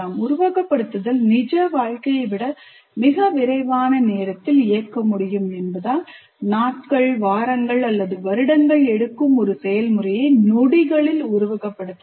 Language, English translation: Tamil, As simulation can run through time much quicker than real life, you can simulate days, weeks or years of a process in seconds